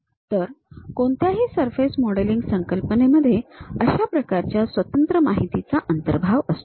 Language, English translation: Marathi, So, any surface modelling concept involves such kind of interpolation from the discrete information